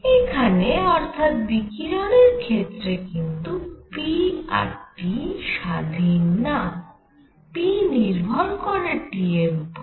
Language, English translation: Bengali, Here p and T are not independent, p depends on T alone or p depends on T